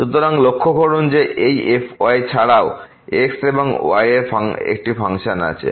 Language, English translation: Bengali, So, note that this is also a function of and